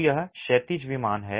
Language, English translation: Hindi, So, this is the horizontal plane